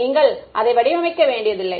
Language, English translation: Tamil, You do not have to design it